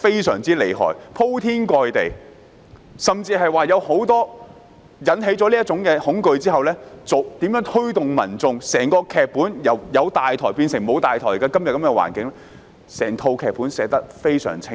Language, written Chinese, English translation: Cantonese, 宣傳片鋪天蓋地，而在引起市民恐懼後，如何推動民眾由"有大台"變為"沒有大台"，以至演變至今天的情況，整個劇本寫得非常清楚。, An avalanche of propaganda videos have been produced sparking fears among the public thus turning a movement with a leader into one without a leader and the developments today have all been brilliantly orchestrated